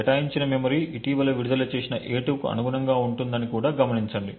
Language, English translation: Telugu, Also note that the memory that gets allocated corresponds to the recently freed a2